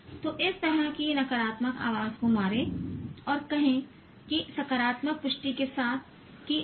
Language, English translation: Hindi, So kill this kind of negative voice and say that with positive affirmation that no, I can do this